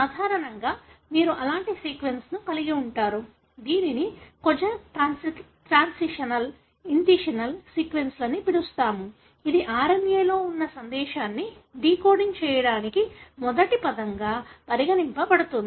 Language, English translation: Telugu, Normally, you have such kind of sequences, which is called as Kozak transitional, initiation sequences that is considered as the first word for decoding the message that is there in the RNA